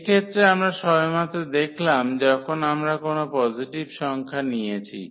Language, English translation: Bengali, So, in this case we have just seen when we have taken any positive number